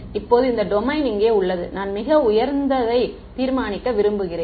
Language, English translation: Tamil, Now this domain over here I am going to I want to determine to a very high resolution right